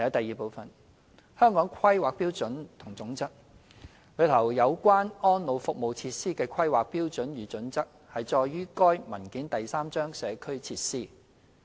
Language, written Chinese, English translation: Cantonese, 二《香港規劃標準與準則》內有關安老服務設施的規劃標準與準則載於該文件第三章"社區設施"。, 2 The planning standards and guidelines on the facilities for the elderly are set out in Chapter 3 Community Facilities of the Hong Kong Planning Standards and Guidelines HKPSG